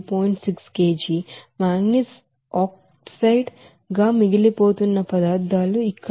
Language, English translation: Telugu, 6 kg, manganese oxide here you know 0